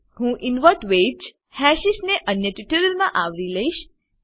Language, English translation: Gujarati, I will cover Invert wedge hashes in an another tutorial